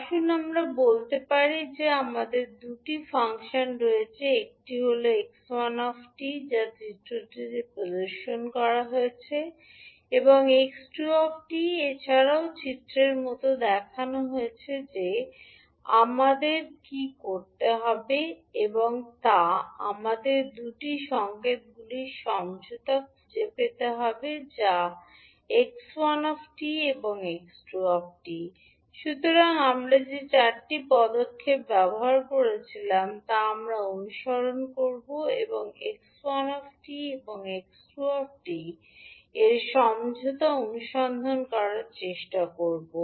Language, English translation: Bengali, Let us say that we have two functions, one is x one t which is as shown in the figure and x two t is also as shown in figure what we have to do we have to find the convolution of 2 signals that is x one and x two, so the four steps which we disused we will follow them and try to find out the convolution of x one and x two, so as part of our first step to carry out the convolution we first fold x one t so we see when we fold how it look like